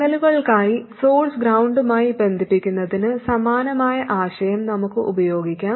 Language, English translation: Malayalam, And we can use a similar idea to connect the source to ground for signals